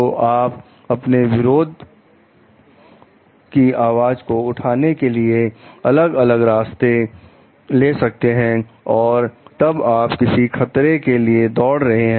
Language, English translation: Hindi, So, you take different avenues for voicing your protest, and then and we know like you run a risk for something